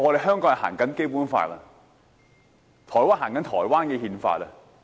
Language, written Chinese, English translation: Cantonese, 香港奉行《基本法》，而台灣奉行台灣的憲法。, Hong Kong upholds the Basic Law and Taiwan upholds its constitution